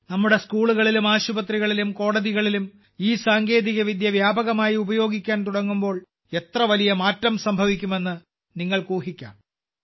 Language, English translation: Malayalam, You can imagine how big a change would take place when this technology starts being widely used in our schools, our hospitals, our courts